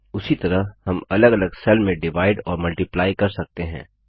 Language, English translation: Hindi, Similarly, one can divide and multiply data in different cells